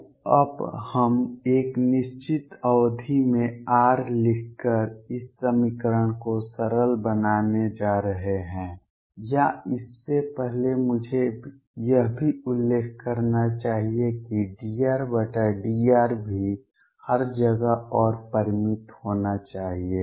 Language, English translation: Hindi, So, now we got we are going to do is simplify this equation by writing r in a certain term or before that I should also mention that d R over dr should also be finite everywhere and the finite